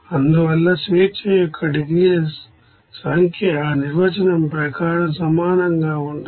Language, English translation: Telugu, Therefore, number of degrees of freedom will be is equal to as per that definition